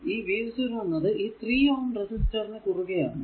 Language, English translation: Malayalam, Ah This v 0 actually across 3 ohm ah your resistor